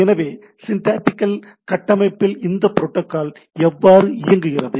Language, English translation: Tamil, So, given a syntactical framework how this my how this protocol still works